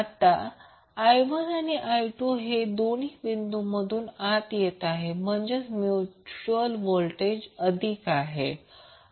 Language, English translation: Marathi, Now I 1 and I 2 are both entering the dot means the mutual voltage would be positive